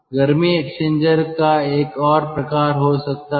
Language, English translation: Hindi, so this type of heat exchangers are called